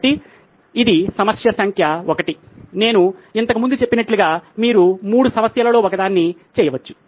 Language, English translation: Telugu, So this is the problem number 1, like I said earlier you can do one of the 3 problems